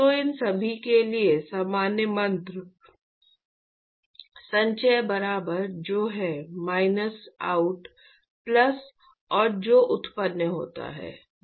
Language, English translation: Hindi, So, we know that common mantra for all of these we said accumulation equal to what comes in minus out plus what is generated